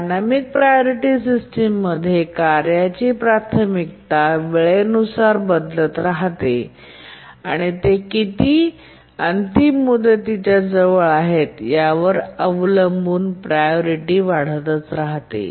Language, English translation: Marathi, In the dynamic priority systems, the priorities of the tasks keep on changing with time depending on how close there to the deadline the priority keeps increasing